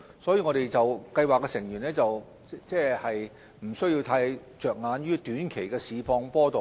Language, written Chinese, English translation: Cantonese, 所以，計劃成員不需要太着眼於短期的市況波動。, For this reason members of MPF schemes do not need to be overly concerned about any short - term market fluctuations